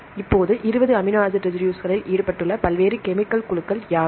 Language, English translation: Tamil, Now, what are the various chemical groups involved in 20 amino acid residues